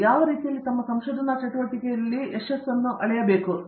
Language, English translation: Kannada, In what way should they themselves be measuring their success as a researcher